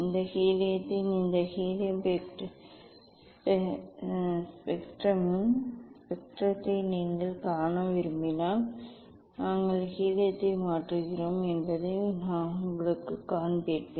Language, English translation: Tamil, I think I will show you this we are changing helium if you want to see the spectrum of this helium spectrum of this helium